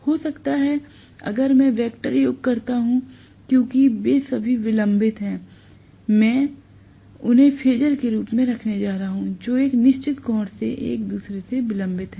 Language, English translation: Hindi, Maybe if I do the vector sum because they are all delayed, I am going to have them as phasers which are delayed from each other by certain angle right